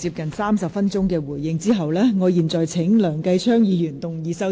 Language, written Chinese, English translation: Cantonese, 局長發言接近30分鐘作出回應後，我現在請梁繼昌議員動議修正案。, After the Secretary has made a 30 - minute speech to give his responses I now call upon Mr Kenneth LEUNG to move an amendment